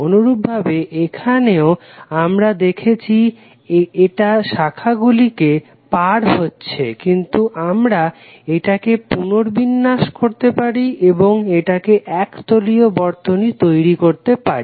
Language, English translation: Bengali, Similarly here also we saw that it is crossing the branches but we can reorganize and make it as a planar circuit